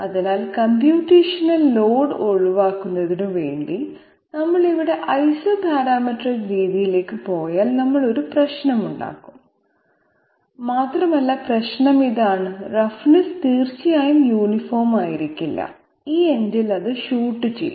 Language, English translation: Malayalam, So just for the sake of avoiding computational load, if we go for Isoparametric method here we are going to have a problem, and the problem is this that the roughness will definitely not be uniform and it will shoot up at this end